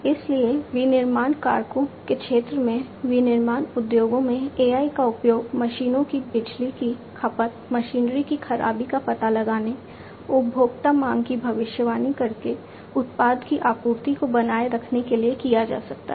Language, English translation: Hindi, So, in the manufacturing factors sector, manufacturing industries AI could be used to improve machines power consumption, detection of machinery fault, maintaining product supply by predicting consumer demand